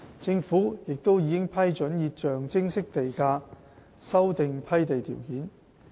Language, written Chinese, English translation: Cantonese, 政府亦已批准以象徵式地價修訂批地條件。, Government approval was also given to the lease modification application at a nominal premium